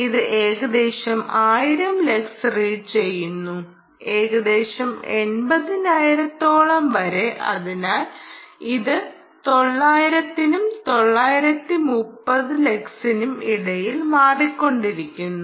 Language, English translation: Malayalam, yeah, its about its reading about one thousand lux, roughly close to nine hundred, and so its fluctuating between nine hundred and nine hundred and thirty ah lux